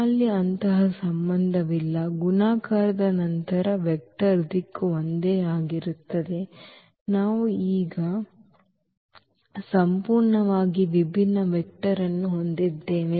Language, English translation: Kannada, So, we do not have such relation that after multiplication the vector direction remains the same, we have a completely different vector now Au